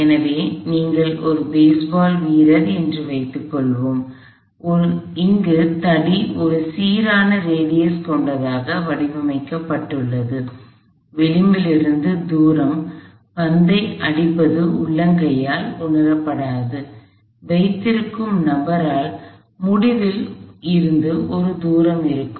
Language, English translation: Tamil, So, if you let say a baseball player, where the rod is kind of design to be of a uniform radius, the distance from the edge, where the ball hitting would not be felt by the bomb by the person holding would be a distance l over 2 from the end